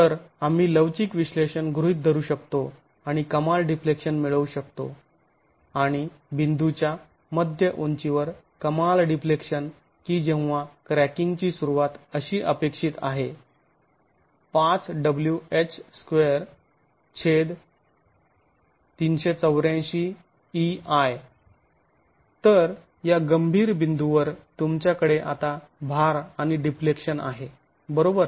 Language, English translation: Marathi, So we can assume the elastic analysis and get the maximum deflection and the maximum deflection at mid height at the point when cracking is expected to initiate as 5 by 384 into the load W crack into head squared by EI as the, so you now have the load and the deflection at this critical point